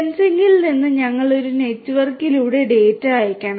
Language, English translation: Malayalam, From sensing we have to send the data over a network